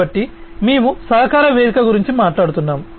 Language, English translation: Telugu, So, we are talking about a collaboration platform